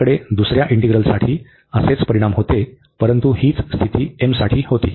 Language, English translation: Marathi, We had the similar results for the other one, but that was the condition was on m